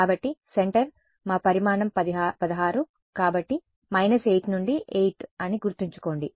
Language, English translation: Telugu, So, centre remember our size was 16 so, minus 8 to 8